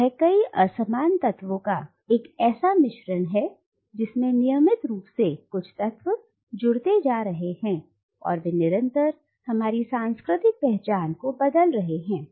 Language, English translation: Hindi, It is a melting pot of several disparate elements which are regularly being added and which are regularly transforming our cultural identities